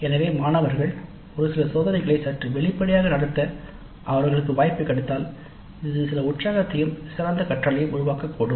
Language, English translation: Tamil, So the students if they get an opportunity to conduct some of the experiments in a slightly open ended fashion it may create certain excitement as well as better learning by the students